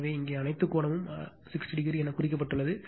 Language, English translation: Tamil, So, so all angle here it is 60 degree is marked